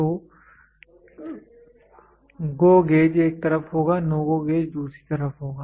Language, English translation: Hindi, So, GO gauge will be on one side, NO GO gauge will be on the other side